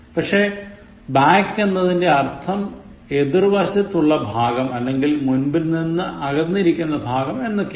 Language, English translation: Malayalam, But back means the part of opposite to or farthest from the front